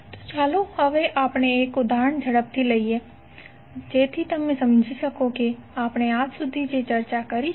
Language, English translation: Gujarati, So now let us take one example quickly so that you can understand what we discussed till now